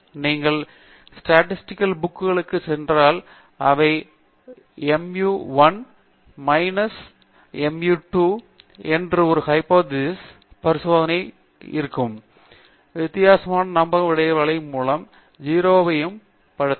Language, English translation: Tamil, And if you turn to statistics books, they will tell you that a hypothesis test of the form mu 1 minus mu 2 equals 0 can be also conducted by looking at the confidence interval for the difference in means